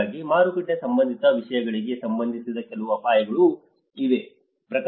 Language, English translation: Kannada, So, there are also some risks associated to the market related things